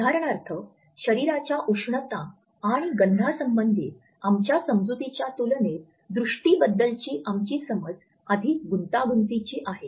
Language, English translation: Marathi, For example, our understanding of the vision is much more complex in comparison to our understanding of thermal and olfaction inputs